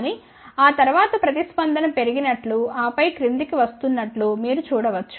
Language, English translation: Telugu, But, after that you can see that the response is going up, ok and then coming down